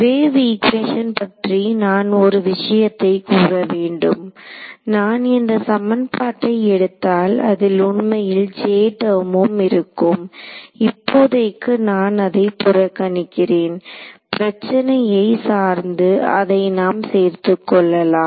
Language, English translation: Tamil, Wave equation one thing I wanted to mention that when I took this equation over here there was there is also actually a J term over here, which I have ignored for now depending on the problem you will need to add it in ok